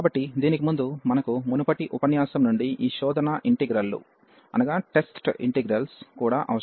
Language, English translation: Telugu, So, before that we also need these test integrals again from the previous lecture